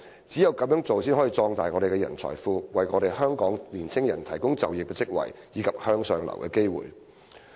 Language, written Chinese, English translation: Cantonese, 只有這樣才能壯大我們的人才庫，為香港的年輕人提供就業職位和向上流動的機會。, Only in this way can we expand our talent pool and provide young people in Hong Kong with jobs and opportunities for upward mobility